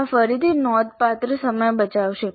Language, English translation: Gujarati, This would again save considerable time